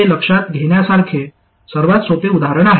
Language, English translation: Marathi, This is the easiest example to consider